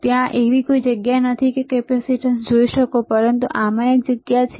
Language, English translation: Gujarati, No, there is no place there you can see the capacitance, but in this there is a place